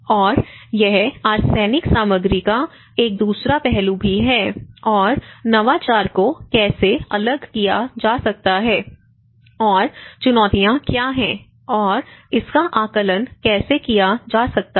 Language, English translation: Hindi, And this is also an another aspect of the arsenic content and how innovation could be diffused and what are the challenges and how one can assess it